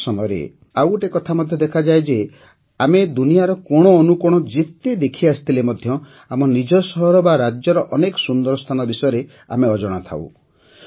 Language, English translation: Odia, Often we also see one more thing…despite having searched every corner of the world, we are unaware of many best places and things in our own city or state